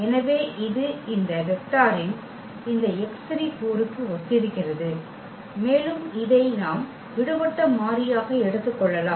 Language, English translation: Tamil, So, that corresponds to this x 3 component of this vector and which we can take as the free variable